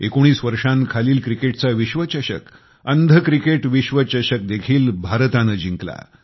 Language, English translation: Marathi, India scripted a thumping win in the under 19 Cricket World Cup and the Blind Cricket World Cup